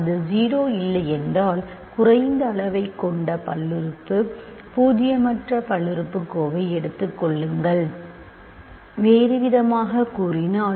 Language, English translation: Tamil, If it is not 0 take the polynomial, non zero polynomial which has the least degree, in other words